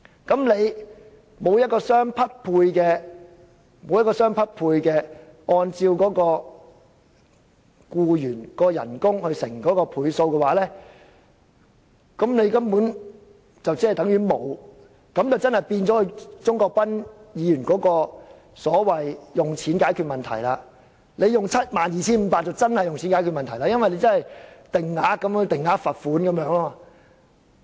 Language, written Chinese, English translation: Cantonese, 如無相匹配的額外賠償，即按照僱員月薪乘以某個倍數，對僱主根本不構成壓力，那就果真變成鍾國斌議員所說的"花錢解決問題 "，72,500 元的上限似是定額罰款。, If the further compensation is not proportionate ie . calculated by multiplying the monthly wage of the employee by a specified multiplier it will not be able to exert pressure on employers . By then the situation will become what Mr CHUNG Kwok - pan has depicted ie